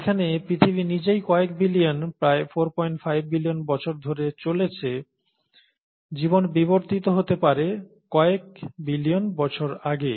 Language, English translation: Bengali, And, whereas earth itself has been around for billions of years, so about four point five billion years, and life evolved may be some billion years ago